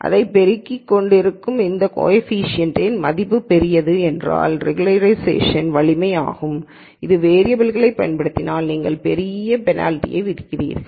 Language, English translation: Tamil, And larger the value of this coefficient that is multiplying this the more is regularization strength that is you are penalizing for use of variables lot more